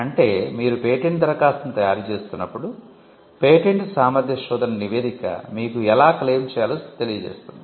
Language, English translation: Telugu, Which means as you draft the patent application, the patentability search report will inform you how to claim